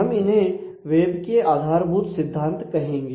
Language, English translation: Hindi, So, we call them as web fundamentals